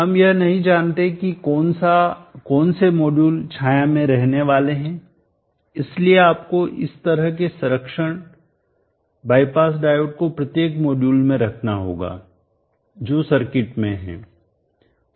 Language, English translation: Hindi, We do not know which of the modules are having shading, so therefore you have put these kind of protection bypass diode to every module which is there in the circuit